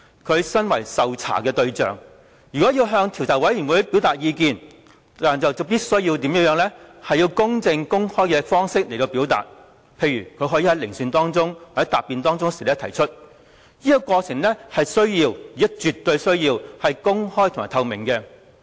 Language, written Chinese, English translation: Cantonese, 他身為受查對象，如果要向專責委員會表達意見，必須以公正、公開的方式提出，例如他可以在聆訊或答辯的過程中提出，而這過程必須且有絕對需要是公開及透明的。, Being the subject of inquiry if he wants to express views to the Select Committee he must do it in a fair and open manner . For example he may voice out his opinion during the hearing or during his defence and it is absolutely essential for such a process to be open and transparent